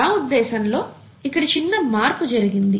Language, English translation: Telugu, I think there has been a slight shift here